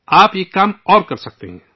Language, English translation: Urdu, You can do one more thing